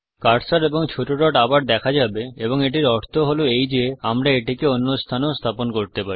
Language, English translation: Bengali, The cursor and the small dot show up once again, suggesting that we can place it at some other location also